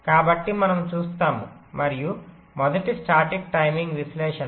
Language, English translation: Telugu, so this will see, and first static timing analysis